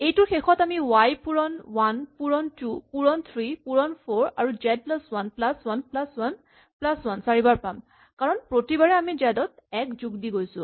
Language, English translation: Assamese, The end of this will have y times 1 times, 2 times, 3 times 4, and we will have z plus 1 plus 1 plus 1 plus 1 four times because each time we are adding 1 to z